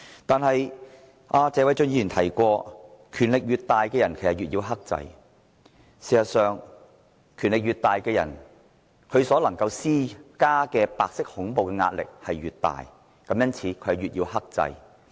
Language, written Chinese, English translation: Cantonese, 但是，謝偉俊議員說過，權力越大的人，越要克制，事實上，權力越大的人，所能施加的白色恐怖壓力越大，因此越要克制。, However as Mr Paul TSE has said a person with greater power should exercise more self - restraint . As a matter of fact a person with greater power can exert greater white terror and hence more self - restraint should be exercised